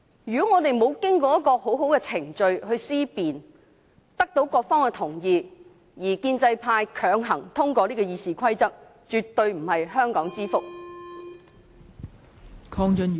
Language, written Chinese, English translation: Cantonese, 沒有經過充分的論辯，沒有得到各方的共識，建制派強行通過《議事規則》的修訂建議，絕對不是香港之福。, This forcing through of the proposed amendments to RoP by the pro - establishment camp without sufficient debate and the consensus of all parties will by no means serve the interest of Hong Kong